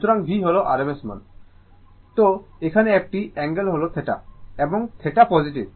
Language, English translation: Bengali, So, here an angle is theta, and theta is positive